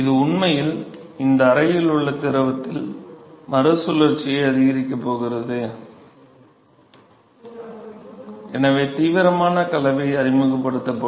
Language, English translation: Tamil, So, this is actually going to increases the recirculation in the in the fluid in this chamber and so, there will be vigorous mixing that will be introduced